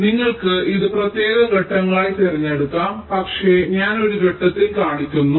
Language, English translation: Malayalam, now you can choose this to into separate steps, but i am showing in one step